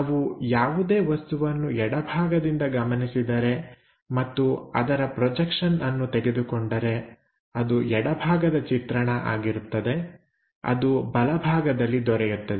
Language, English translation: Kannada, If we are observing something from left hand side and projection if we can get it, that will be left side view